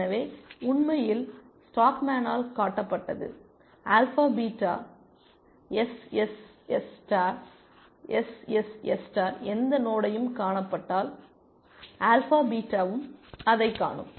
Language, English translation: Tamil, So, in fact, it was shown by stockman that, alpha beta that, SSS star, if any node is seen by SSS star, alpha beta will also see that essentially